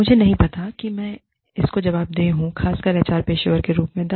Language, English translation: Hindi, I do not know, who I am more answerable to, especially, as an HR professional